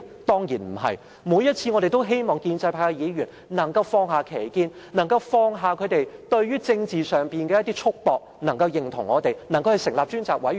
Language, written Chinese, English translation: Cantonese, 我們每一次也希望建制派議員可以放下歧見，放下他們在政治上的一些束縛，贊同我們成立調查委員會。, In fact whenever we proposed the establishment of a select committee we hoped Members from the pro - establishment camp would put aside their disagreements and restraints in politics to support us